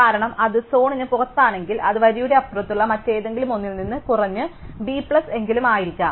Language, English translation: Malayalam, Because, if it is outside the zone, then it can only be at least b plus something away from something on the other side to the line